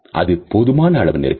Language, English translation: Tamil, That is close enough